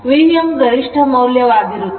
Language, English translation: Kannada, So, V m is the maximum value